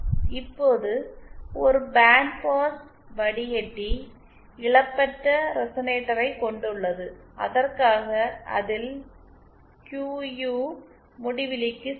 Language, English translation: Tamil, Now for a band pass filter that has a lossless resonator in it, that is for which QU is equal to infinity